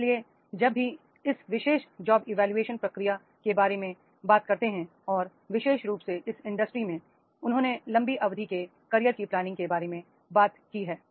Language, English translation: Hindi, But when we talk about this particular job evaluation process and especially in these industries, they have talked about the long term career planning are to be made